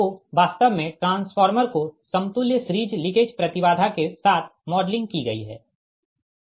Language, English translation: Hindi, so the transformer actually the transformer is modeled with equivalent series leakage impedance